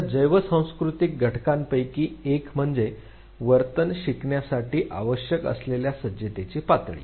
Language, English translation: Marathi, Now one of the most important the bio cultural factor is the level of preparedness that is needed to learn a behavior